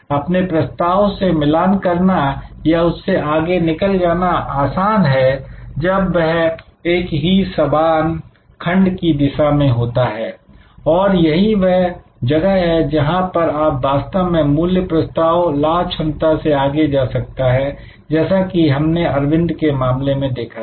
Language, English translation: Hindi, It is easier to match or exceed offerings when it is directed to the same segment, this is where you can actually create a value proposition, which goes for beyond the mere profit potential as we saw in case of Arvind